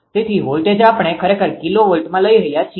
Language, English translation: Gujarati, So, voltage we are taking actually kilovolt